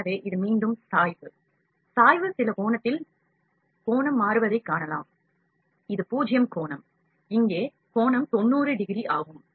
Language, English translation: Tamil, So, this is again is inclination; inclination, at some angle also you can see the angle is changing, this is 0 angle, this angle is about 90 degree here